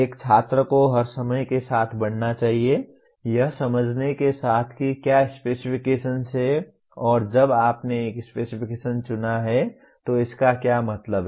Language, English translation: Hindi, A student should grow all the time with the, with understanding what specifications are and when you chose a specification what does it mean